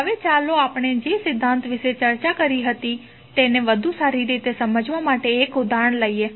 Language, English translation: Gujarati, Now, let us take an example to understand better the theory which we just discussed